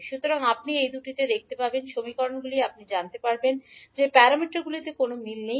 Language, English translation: Bengali, So, when you see these two equations you will come to know that there is no uniformity in the parameters